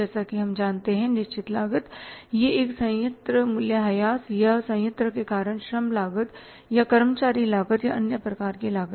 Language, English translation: Hindi, Fix cost as we know that it is a plant depreciation or the plant cost or the labor cost or say this employees cost or other kind of the cost